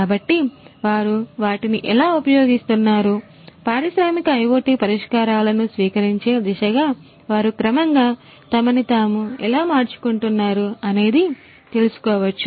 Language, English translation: Telugu, So, you know how they are using, how they are transforming themselves gradually gradually towards the adoption of industrial IoT solutions you are going to see that